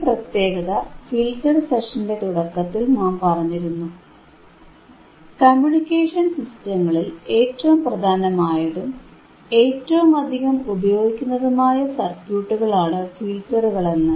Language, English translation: Malayalam, That is why, at the starting of this particular filter session, we talked that filters are the most important or highly used circuits in the communication systems, right